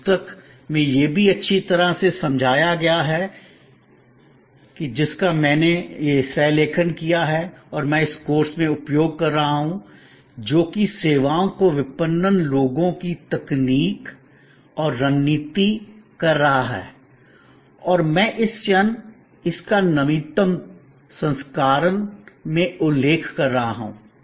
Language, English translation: Hindi, It is also well explained in the book that I have go authored and I am using in this a course which is a services marketing people technology and strategy I am referring at this moment to the latest edition